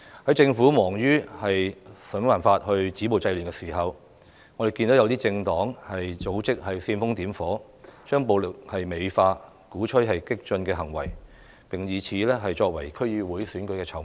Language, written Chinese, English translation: Cantonese, 當政府忙於想辦法止暴制亂的時候，我們看到有些政黨組織煽風點火，美化暴力，鼓吹激進行為，並以此作為區議會選舉的籌碼。, While the Government was busy stopping violence and curbing disorder we can see some political parties and organizations fanned the flame glorified violence encouraged radical acts and used all of these as a bargaining chip for the District Council Election